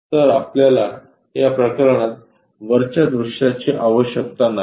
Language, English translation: Marathi, So, we do not really require that top view in this case